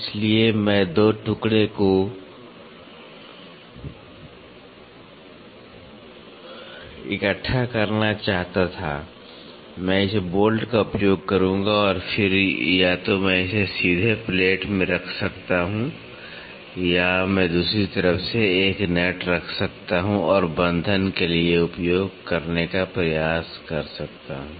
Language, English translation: Hindi, So, I wanted to assemble 2 piece, I will use this bolt and then either I can directly fasten it to the plate or I can put a nut on the other side and try to use for fastening